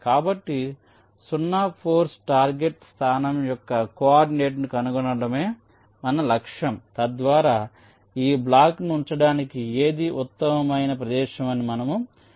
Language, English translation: Telugu, so our objective is to find out the coordinate of the zero force target location so that we can decide which is the best location to place that block